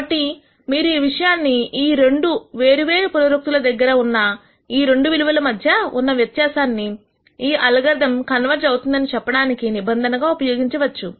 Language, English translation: Telugu, So, you could use this norm as we call it which is the difference between these two values at two different iterations as a condition for saying the algorithm converges